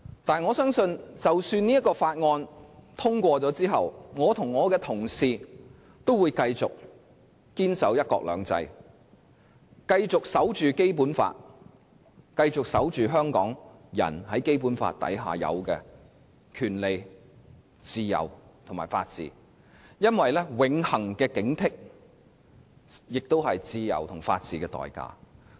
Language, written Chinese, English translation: Cantonese, 不過，我相信即使這項《條例草案》獲得通過，我和我的同事也會繼續堅守"一國兩制"，繼續守護《基本法》，繼續守護香港人在《基本法》之下應有的權利、自由和法治，因為永恆的警惕，是自由和法治的代價。, Even if this Bill is to be passed my colleagues and I will continue to uphold the one country two systems principle the Basic Law as well as the rights freedom and the rule of law enshrined in the Basic Law . Eternal vigilance is the price of liberty and rule of law